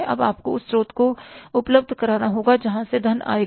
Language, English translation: Hindi, Now you have to arrange these sources from where the funds will come